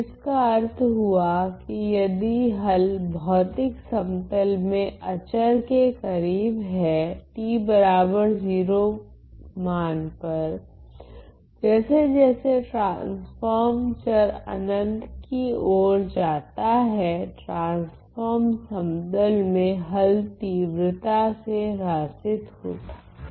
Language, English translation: Hindi, So, which means that if the solution, at the physical plane is near constant at the value t equal to 0, the solution at the at the in the transform plane will rapidly decay as the value in the transform variable goes to infinity ok